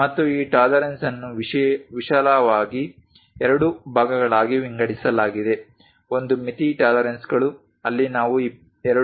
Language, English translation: Kannada, And these tolerances are broadly divided into two parts one is limit tolerances, where we show the dimension 2